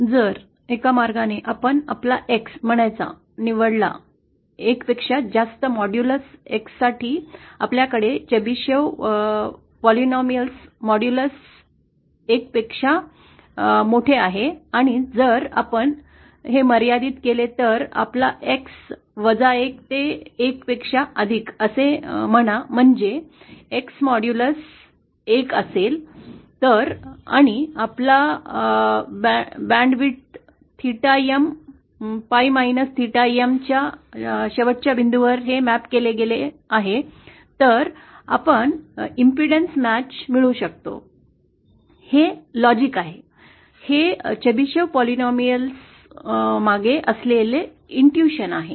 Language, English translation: Marathi, So in a one way if we choose say our X, for modulus X greater than one we have the modulus of the Chebyshev polynomial greater than one and if we restrict suppose say our X between minus one to plus one so that modulus of X is one and this is mapped to the end points of our band width theta M, pi minus theta M, then we can achieve the impedence match, this is the logic, this is the infusion behind the Chebyshev polynomial